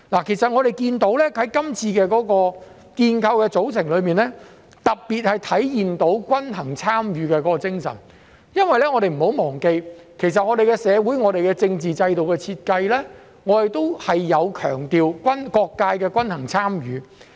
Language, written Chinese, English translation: Cantonese, 其實我們看到在這次建構的組成中，特別體現出均衡參與的精神，因為我們不要忘記，其實我們的社會和政治制度的設計，是強調各界的均衡參與。, In fact we can see that the spirit of balanced participation is particularly evident in the reconstituted composition because we must not forget that the design of our social and political system carries an emphasis on balanced participation of all sectors